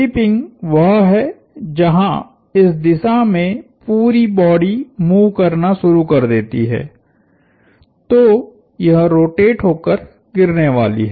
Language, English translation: Hindi, Tipping is where the whole body starts to move in this sense, so it is going to rotate over and fall